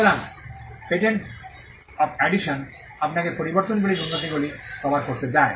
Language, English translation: Bengali, So, the patent of addition, allows you to cover improvements in modifications